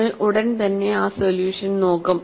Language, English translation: Malayalam, We will look at that solution shortly